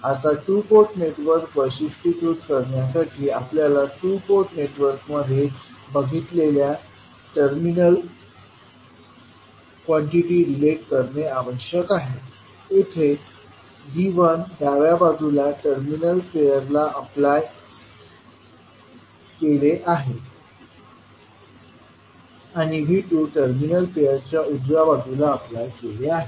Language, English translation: Marathi, Now, to characterize the two port network, it is required that we relate the terminal quantities that is V1, V2, I1, I2 which you see in the two port network, here V1 is applied across terminal pair on the left side, and V2 is applied across the terminal pair on the right side I1 flows from port 1, and I2 flows from port 2